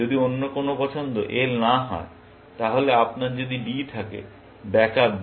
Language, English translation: Bengali, If none other choice is L, then, if you have D; back up D